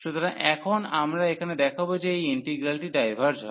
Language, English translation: Bengali, So, now we will show here that this integral diverges